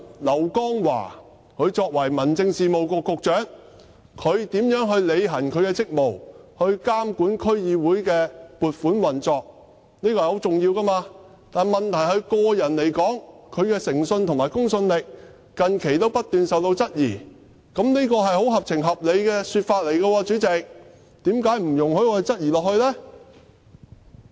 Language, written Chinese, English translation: Cantonese, 劉江華作為民政事務局局長，他如何履行其職務，以監管區議會的撥款運作，這是十分重要的，問題是就他個人而言，他的誠信和公信力近期不斷受到質疑，主席，這是十分合情合理的說法，為何不容許我繼續質疑呢？, The way LAU Kong - wah as the Secretary for Home Affairs discharges his duties and monitors the operation of funds allocation in DCs is very important . The problem is that insofar as the Secretary personally is concerned his integrity and creditability has recently been constantly questioned? . President my comments are very sensible and reasonable